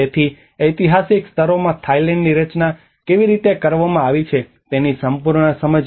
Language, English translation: Gujarati, So this is how the overall understanding of how the historical layers have been framing Thailand